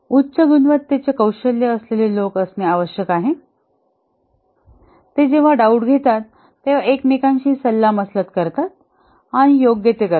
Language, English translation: Marathi, High quality people skills are required who when in doubt will consult each other and do what is correct